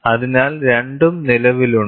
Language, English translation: Malayalam, So, both exists